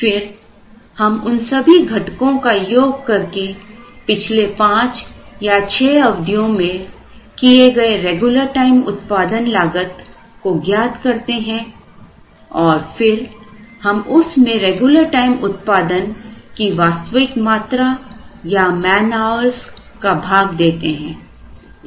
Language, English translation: Hindi, Then, we add them to get the total regular time production cost incurred over the last five or six periods, and then when we divide it by the actual quantity or man hours employed in regular time production